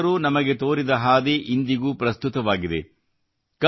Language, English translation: Kannada, The path shown by Kabirdas ji is equally relevant even today